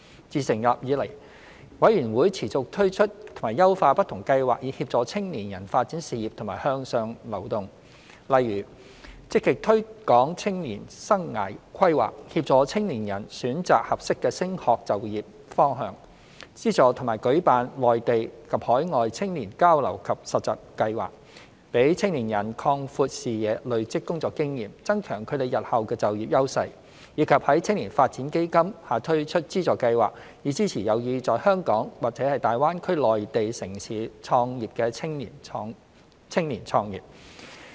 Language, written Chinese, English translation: Cantonese, 自成立以來，委員會持續推出及優化不同計劃以協助青年人發展事業和向上流動，例如積極推廣青年生涯規劃，協助青年人選擇合適的升學就業方向；資助和舉辦內地及海外青年交流及實習計劃，讓青年人擴闊視野、累積工作經驗、增強他們日後的就業優勢；以及在青年發展基金下推出資助計劃，以支持有意在香港或大灣區內地城市創業的青年創業。, Since its establishment YDC has kept launching and enhancing different schemes to facilitate young peoples career development and promote their upward mobility . For example it actively promotes youth life planning to help young people choose the right education and career path; it funds and organizes exchange and internship programmes in the Mainland and overseas for young people to broaden their horizons gain working experience and enhance their competitiveness in employment in the future; and it launches funding schemes under the Youth Development Fund to provide assistance to young people who are interested in starting their businesses in Hong Kong or Mainland cities of the Greater Bay Area